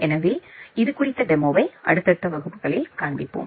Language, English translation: Tamil, So, we will show a demo of this in the subsequent classes